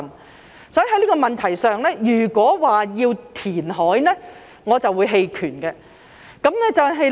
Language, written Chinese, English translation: Cantonese, 因此，在這個問題上，如果說要填海，我便會棄權。, For this reason on this issue I will abstain from voting if it is suggested that reclamation should be carried out